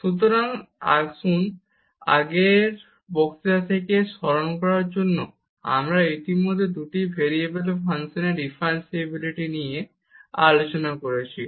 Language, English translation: Bengali, So, just to recall from the previous lecture we have discussed already the differentiability of functions of two variables